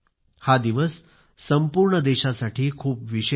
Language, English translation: Marathi, This day is special for the whole country